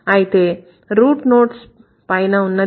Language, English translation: Telugu, And what is the top node here